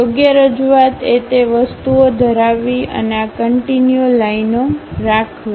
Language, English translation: Gujarati, The right representation is having those thing and also having these continuous lines